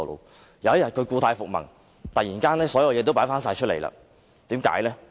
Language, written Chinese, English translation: Cantonese, 但是，有一天他故態復萌，突然把所有東西都擺放出來。, However one day his problem relapsed . All of a sudden he put back all the things on the sidewalk